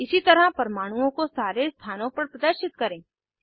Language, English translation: Hindi, Lets display atoms on all positions